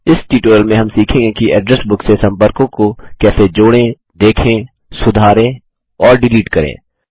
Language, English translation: Hindi, In this tutorial we learnt how to add, view, modify and delete contacts from the Address Book